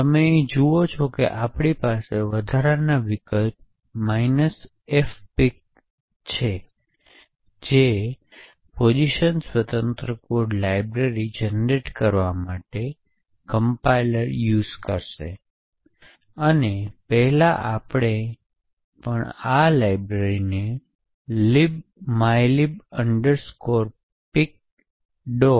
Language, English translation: Gujarati, So, as you see here we have in additional option minus F pic which would generate, which would cost the compiler to generate a position independent code library and as before we also dump disassembly of this library in libmylib pic